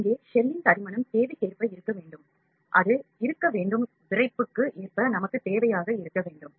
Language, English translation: Tamil, Here, the thickness of the shell has to be according to the requirement; it has to be according to rigidity whatever requirements we need